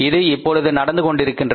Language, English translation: Tamil, It is happening